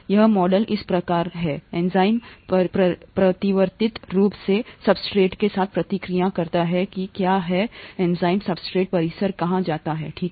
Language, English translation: Hindi, This model is as follows; the enzyme reacts with the substrate to reversibly form what is called the enzyme substrate complex, okay